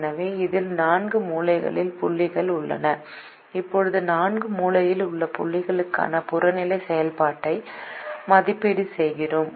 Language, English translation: Tamil, so there are four corner points in this and now we evaluate the objective function for the four corner points